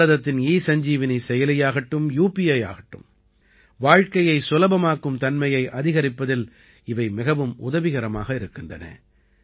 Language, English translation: Tamil, Be it India's ESanjeevaniApp or UPI, these have proved to be very helpful in raising the Ease of Living